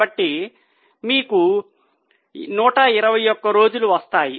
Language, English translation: Telugu, So, you get 121 days